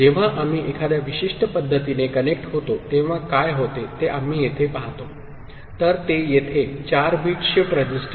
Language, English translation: Marathi, Here we see what happens when we connect in a particular manner; so here that is 4 bit shift register